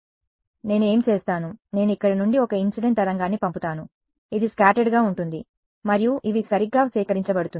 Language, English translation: Telugu, So, what I do is, I send an incident wave from here this will get scattered and collected by everyone all of these guys right